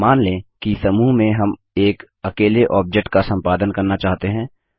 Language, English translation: Hindi, Now, suppose we want to edit a single object within a group